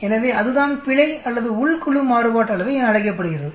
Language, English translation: Tamil, So that is called an error or within the group variance